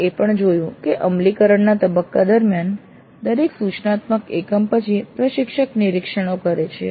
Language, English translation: Gujarati, Then we also noted during the implement phase that after every instructional unit the instructor makes observations